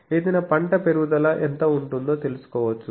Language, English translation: Telugu, It predicts how much the growth of any crop will be there